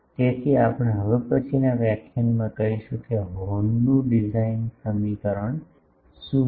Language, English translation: Gujarati, So, that we will take up in the next lecture, that what is the design equation of the horn